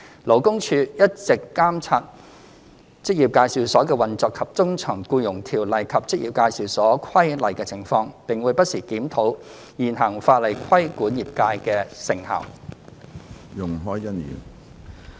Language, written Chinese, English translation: Cantonese, 勞工處一直監察職業介紹所的運作及遵從《僱傭條例》和《職業介紹所規例》的情況，並會不時檢討現行法例規管業界的成效。, LD has all along monitored the operation of EAs and their compliance with EO and EAR and would review the effectiveness of the existing legislation in regulating the industry from time to time